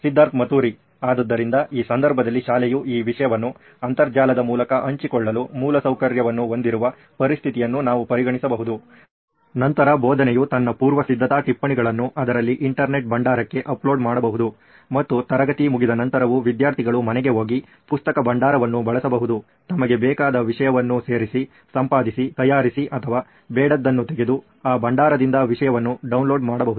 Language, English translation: Kannada, So, in this case we can consider a situation where school has an infrastructure for sharing this content through an Intranet, then where teach can upload her preparatory notes into that, into an Internet repository and students after class can go home access that repository, add, edit, prepare or draw our content, download content from that repository